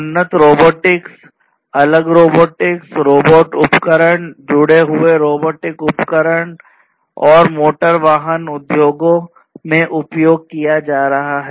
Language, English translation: Hindi, Advanced robotics, different robotics, robotic equipments, connected robotic equipments are being used in the automotive industries